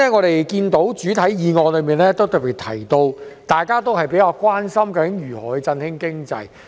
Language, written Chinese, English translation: Cantonese, 首先，原議案特別提到大家較為關心的如何振興經濟。, First of all the original motion has specially mentioned how to boost the economy which Members are more concerned about